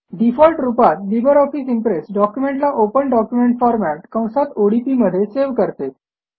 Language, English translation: Marathi, By default the LibreOffice Impress saves documents in the Open document format